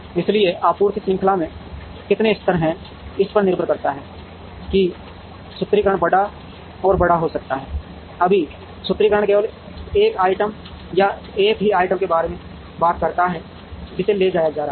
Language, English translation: Hindi, So, depending on how many levels are there in the supply chain the formulation can get bigger and bigger, right now, the formulation talks about only one item or a single item that is being transported